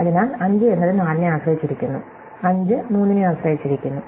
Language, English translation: Malayalam, So, 5 depends on 4, 5 depends on 3